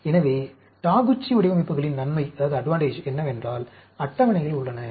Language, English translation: Tamil, So, the advantage of the Taguchi designs are, there are tables available